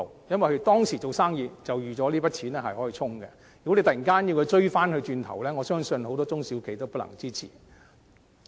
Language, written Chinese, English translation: Cantonese, 因為當時已預計那筆錢可用作對沖，突然間向他們追討，我相信很多中小企都不能支持。, The reason is that they have already expected that the relevant sums can be spent for offsetting . I do not believe many SMEs can afford the payments if they are pursued for payment all of a sudden